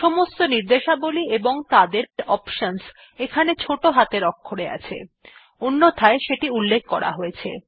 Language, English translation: Bengali, Here all commands and their options are in small letters unless otherwise mentioned